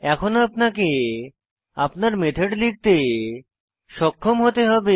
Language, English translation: Bengali, Now you should be able to write your own methods